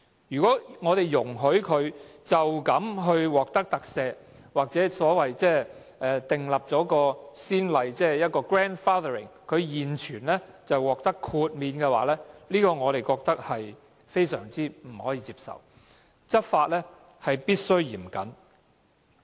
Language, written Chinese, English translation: Cantonese, 如果我們容許違規龕場獲得特赦，或訂立不溯既往的先例，讓現有的龕場獲得豁免，我們覺得這做法不能接受，執法必須嚴謹。, We consider it unacceptable if we grant amnesty to unauthorized columbaria or if we set the precedent of grandfathering to exempt existing columbaria . We opine that the law must be enforced stringently